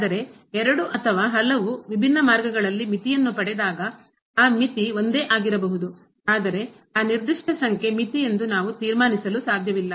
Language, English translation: Kannada, But getting the limit along two or many different paths though that limit may be the same, but we cannot conclude that that particular number is the limit